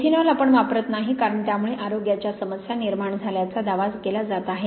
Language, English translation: Marathi, Methanol we tend not to use because it is being claimed to have cause health problems